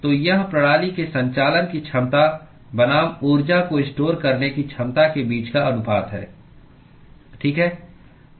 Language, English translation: Hindi, So, this is the ratio between the ability of the system to conduct it versus it is ability to store the energy, right